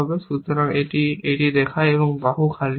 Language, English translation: Bengali, So, this is how it looks and arm is empty